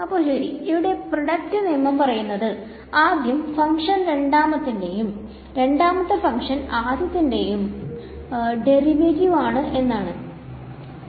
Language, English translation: Malayalam, So, product rule says first function derivative a second function; second function, derivative of first function straightforward